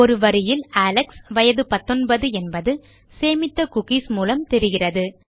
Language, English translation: Tamil, Therefore we will have a sentence saying Alex is 19 just from the cookies that weve stored